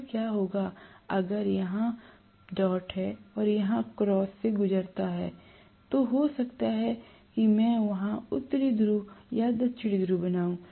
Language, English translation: Hindi, Then what will happen is if I pass dot here and cross here, maybe I will create North Pole there and South Pole here, that is it